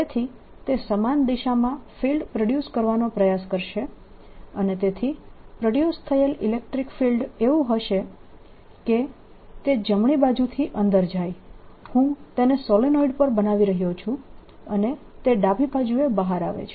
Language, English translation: Gujarati, so it'll try to produce a field in the same direction and therefore the electric field produced will be such that it goes in on the right side i am making it on the solenoid and comes out on the left side